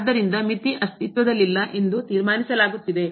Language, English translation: Kannada, So, that concludes that the limit does not exist